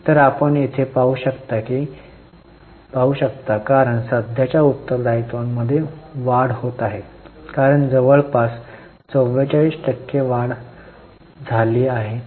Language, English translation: Marathi, So, you can see here because of the rise in current liabilities, rise of about 44% there is a fall in the ratio